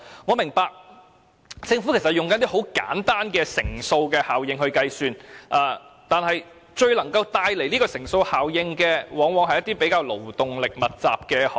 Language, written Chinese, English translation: Cantonese, 我明白政府是在運用簡單的乘數效應來計算，但最能帶來乘數效應的往往是一些勞動力密集的行業。, I understand that the Government is using a simple multiplier effect for computation but industries that have the greatest multiplier effect are the labour - intensive ones